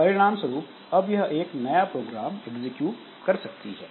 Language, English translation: Hindi, So, as a result, it can execute a new program